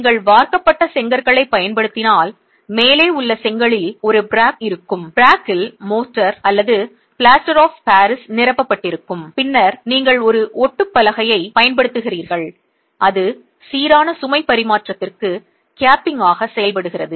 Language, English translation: Tamil, If you have if you are using moulded bricks the brick at the top will have a frog the frog is filled with mortar or plaster of Paris and then you use a plywood plank that is then serving as the capping for uniform load transfer